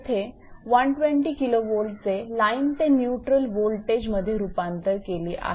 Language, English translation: Marathi, In this this has been converted 120 kV is converted to line to neutral